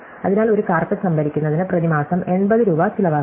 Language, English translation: Malayalam, So, let us assume that storing a carpet cost rupees 80 per month